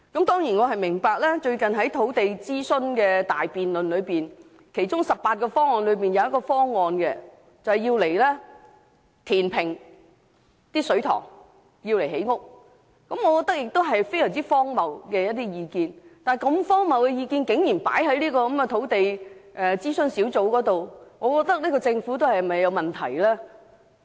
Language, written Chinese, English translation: Cantonese, 近日進行的土地供應諮詢大辯論所提出的18個方案之中，包括了一項填平水塘作建屋之用的建議，我認為這項建議相當荒謬，但如此荒謬的意見，竟可提交土地供應專責小組進行討論，這個政府是否也有問題呢？, In the big debate on land search launched recently the Government has put forward 18 options including a suggestion of filling up a reservoir in order to generate land for housing development . I consider the suggestion a really ridiculous idea but since the Government can go so far as to put forward such an absurd idea for discussion by the Task Force on Land Supply does it imply that there is also something wrong with this Government of ours?